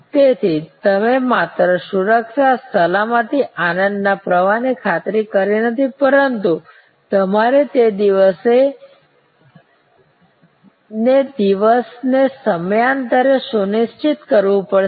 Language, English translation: Gujarati, So, you have not only ensure security, safety, pleasure flow, but you have to also ensure it time after time day after day